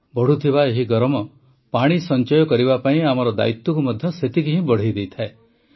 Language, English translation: Odia, This rising heat equally increases our responsibility to save water